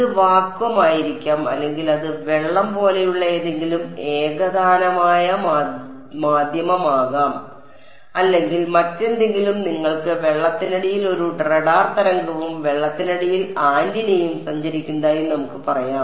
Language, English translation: Malayalam, It may vacuum or it may be some homogeneous medium like water or something let us say you have a radar wave travelling under water and antenna under water